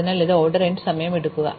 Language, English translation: Malayalam, So, this takes order n time